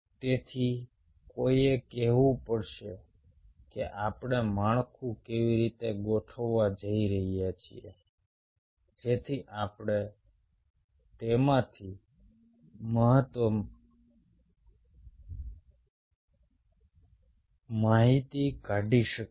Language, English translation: Gujarati, so one has to make a call that how we are going to set up the structure so that we can extract the maximum information out of it